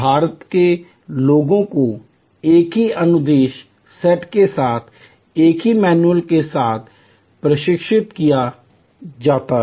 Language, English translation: Hindi, India people are trained with the same manuals with the same instruction sets